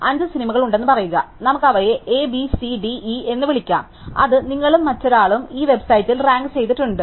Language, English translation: Malayalam, So, say there are five movies, let us just call them A, B, C, D and E which both you and somebody else have ranked on this website